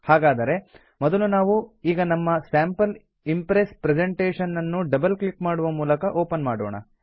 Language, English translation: Kannada, So first, let us open our presentation Sample Impress by double clicking on it